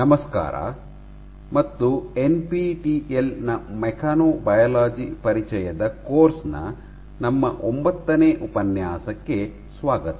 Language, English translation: Kannada, Hello and welcome to our ninth lecture of the NPTEL course; introduction to mechanobiology